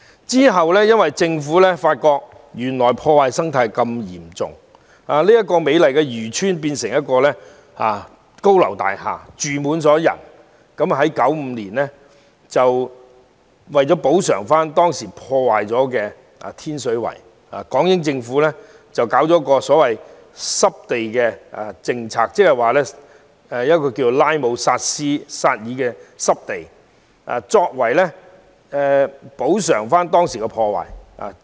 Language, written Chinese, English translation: Cantonese, 其後，港英政府發現生態遭到嚴重破壞，美麗漁村變成高樓大廈，人口密集，於是便在1995年作出補償，在當時已遭破壞的天水圍搞了一項所謂濕地政策，設立拉姆薩爾濕地，以彌補所造成的破壞。, The British Hong Kong Government subsequently realized that with beautiful fishing villages turning into densely populated high - rise buildings this has caused serious ecological destruction . It thus tried to make up for the loss in 1995 by formulating a so - called wetland conservation policy in Tin Shui Wai when the ecology of which has actually been destroyed . Under the policy a Ramsar site was designated to make up for the damage done